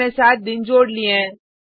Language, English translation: Hindi, We have added seven days